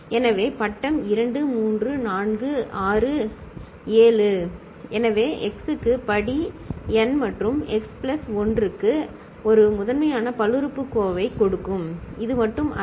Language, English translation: Tamil, So, for degree 2, 3, 4, 6, 7 ok, so x to the power n plus x plus 1 that will give a primitive polynomial; this is not the only one